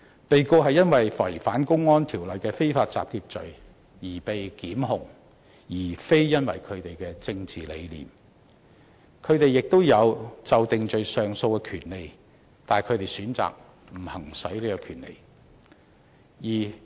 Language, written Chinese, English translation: Cantonese, 被告是因為違反《公安條例》的非法集結罪而被檢控，並非因為他們的政治理念，他們也享有就定罪上訴的權利，只是他們選擇不行使有關權利而已。, The defendants are prosecuted for the crime of unauthorized assembly under the Public Order Ordinance not for their political belief . They can exercise their right to appeal against the sentences but they just opt not to exercise it though